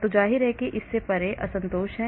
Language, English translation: Hindi, so obviously there is discontinuity beyond this